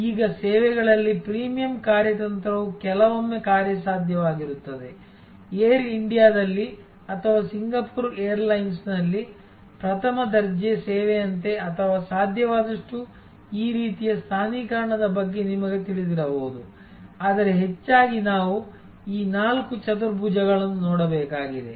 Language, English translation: Kannada, Now, premium strategy in services is sometimes feasible, there could be you know like the first class service on Air India or on Singapore Airlines or this kind of positioning as possible, but mostly we have to look at these four quadrants